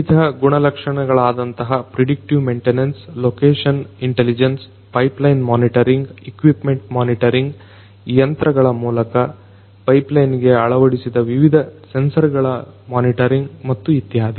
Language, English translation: Kannada, Different attributes such as predictive maintenance, location intelligence, pipeline monitoring, equipment monitoring, monitoring of the different sensors that are integrated to the pipelines though the machines etc